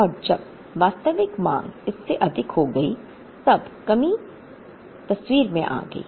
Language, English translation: Hindi, And when the, actual demand exceeded that, then the shortage came into the picture